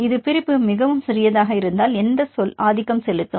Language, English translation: Tamil, If this is separation is very small which term will dominate